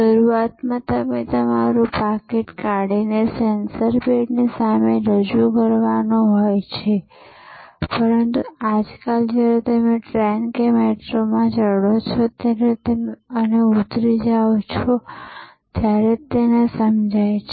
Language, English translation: Gujarati, Initially, you have to take out your wallet and just present it in front of the sensor pad, but nowadays it just senses as you get on to the train or metro or you get off